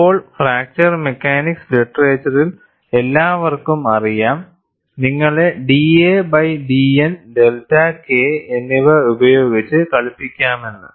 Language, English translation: Malayalam, Now, everybody in fracture mechanics literature knows, that you have to play with d a by d N and delta K